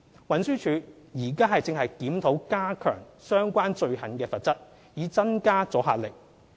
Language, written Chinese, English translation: Cantonese, 運輸署現正檢討加強相關罪行的罰則，以增加阻嚇力。, TD is currently reviewing the need to raise the penalties for the relevant offences so as to enhance the deterrent effects